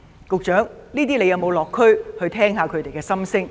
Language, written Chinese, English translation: Cantonese, 局長有沒有落區聆聽他們的心聲？, Has the Secretary visited the districts to listen to their views?